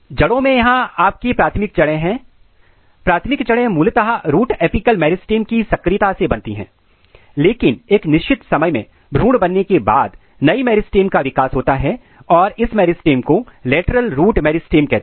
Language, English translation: Hindi, In root this is your primary root; primary root basically because of the activity of root apical meristem, but at certain point of time in the development a new meristem is being generated here post embryonically and this meristem is called lateral root meristem